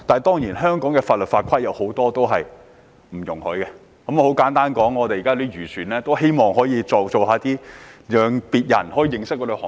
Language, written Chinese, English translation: Cantonese, 當然，香港的法律法規未必容許這樣做，但現時很多漁農界人士都希望別人認識相關行業。, Of course the laws and regulations in Hong Kong may not allow this but many people in the agriculture and fisheries industry do want others to know about the industry